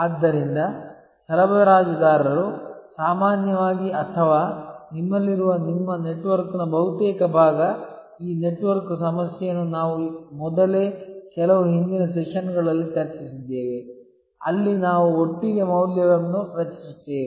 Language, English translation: Kannada, And therefore, suppliers normally or almost part of your network that we have, this network issue we had already discussed earlier in the some of the earlier sessions, where we create the value together